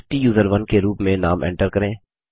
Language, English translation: Hindi, Enter the Name as STUSERONE